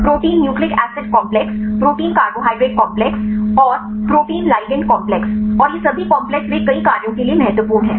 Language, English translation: Hindi, Protein nucleic acid complexes protein cabohydrate complexes and protein ligand complexes and all these complexes they are important for several functions right